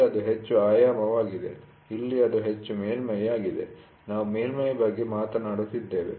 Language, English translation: Kannada, The surface is talking about the surface, so here it is more of dimension, here it is more of surface, we talk about the surface